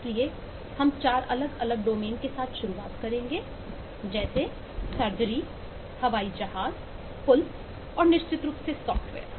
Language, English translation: Hindi, so we will start with, eh this: 4 different domains: the bridges, the surgery, aero planes and certainly software